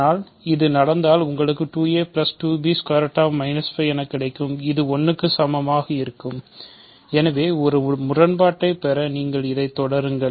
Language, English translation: Tamil, But, if this happens you have 2 a plus 2 b and continue, ok, so you continue like this to get a contradiction